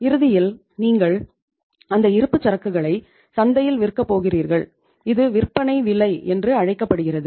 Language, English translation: Tamil, Ultimately you are going to sell that inventory in the market at the price which is called as a selling price